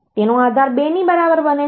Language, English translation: Gujarati, The base becomes equal to 2